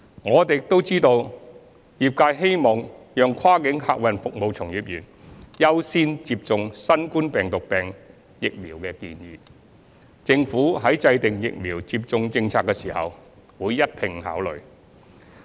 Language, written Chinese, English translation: Cantonese, 我們亦知悉業界希望讓跨境客運服務從業員優先接種新冠病毒病疫苗的建議，政府在制訂疫苗接種政策時會一併考慮。, We have also taken note of the trades suggestion that cross - boundary passenger service employees should be included as a priority group for COVID - 19 vaccination which will be taken into account by the Government when formulating vaccination policies